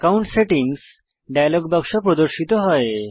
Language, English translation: Bengali, The Accounts Settings dialog box appears